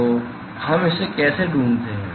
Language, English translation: Hindi, So, how do we find this